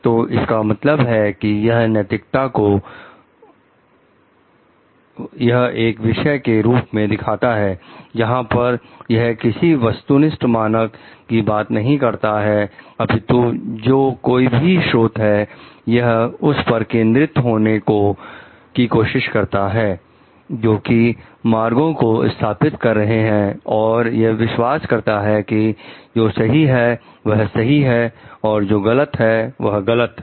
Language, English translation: Hindi, So, this means represent ethics as a subject where it talks of not having any objective standard, it is trying to focus on like whatever the agent, who is implementing the standards believes whatever is right is right and whatever that the agent believes to be wrong is wrong